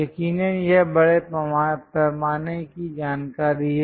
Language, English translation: Hindi, Precisely these are the large scale information